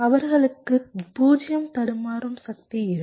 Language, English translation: Tamil, they will have zero glitching power